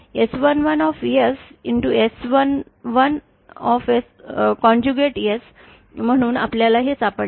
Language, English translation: Marathi, S11 conjugate S, so this is what we had found out